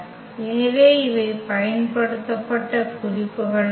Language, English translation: Tamil, So, these are the references used